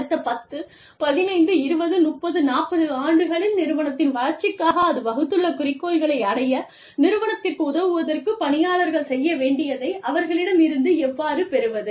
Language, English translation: Tamil, So, how do we get people, to do, what they need to do, in order to help the organization, achieve the objectives, that it has laid down, for its development, over the course of the next, 10, 15, 20, 30, 40 years